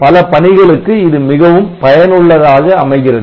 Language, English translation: Tamil, So, that is useful for many applications